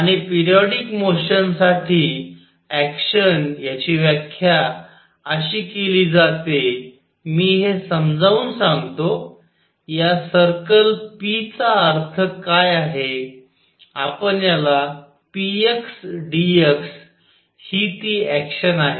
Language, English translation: Marathi, And actions for periodic motion is defined as I will explain what this circle means p, let us call it p x d x this is the action